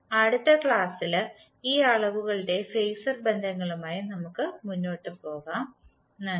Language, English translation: Malayalam, In next class we will carry forward with the phasor representation of these quantities, Thank you